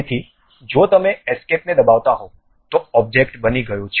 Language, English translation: Gujarati, So, if you are pressing escape, the object has been constructed